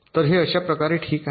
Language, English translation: Marathi, so in this way it can proceed